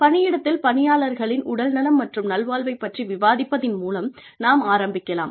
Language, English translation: Tamil, Let us start, by discussing, what we mean by, health and well being in the workplace